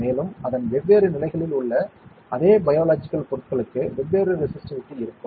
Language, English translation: Tamil, And with the same biological material of different conditions of it also, there will be different resistivity